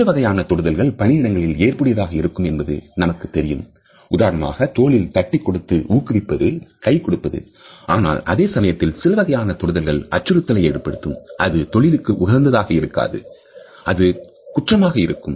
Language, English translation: Tamil, We know that there are certain types of touches which can be used appropriately in the workplace, for example, an encouraging pat on the back a handshake but at the same time there may be an unwanted touch or a touch which is deliberately intimidating which is not only unprofessional, but can also be criminal